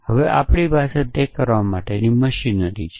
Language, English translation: Gujarati, Now, we have the machinery for doing that